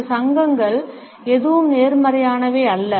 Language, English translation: Tamil, None of these associations happens to be a positive one